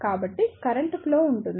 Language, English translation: Telugu, So, there will be flow of current